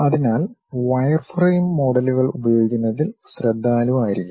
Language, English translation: Malayalam, So, one has to be careful in terms of using wireframe models